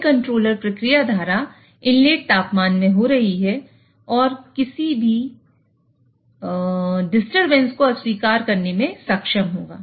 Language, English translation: Hindi, So, this controller will be able to reject any disturbances which are happening in the process stream inlet temperature